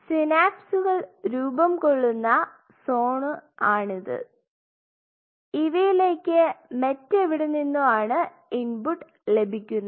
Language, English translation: Malayalam, So, these are the zones where synapses will be forming and this may be getting some input from somewhere or ok